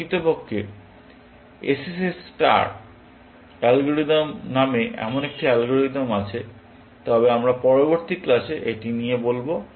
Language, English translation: Bengali, Indeed, there is such an algorithm called sss star algorithm, but we will take that up in the next class